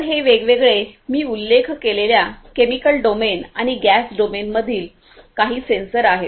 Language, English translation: Marathi, So these are some of these different sensors, the chemical domain and the gas domain that I have mentioned